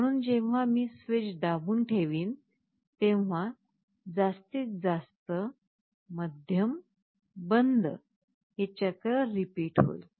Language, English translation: Marathi, So, when I go on pressing the switch, maximum, medium, off, this cycle will repeat